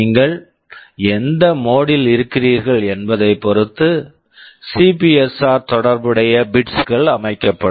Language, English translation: Tamil, And the corresponding bits of the CPSR will be set depending on which mode you are in